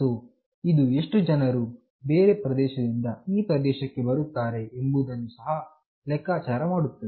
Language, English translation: Kannada, So, this will also keep track of how many people from other region is moving here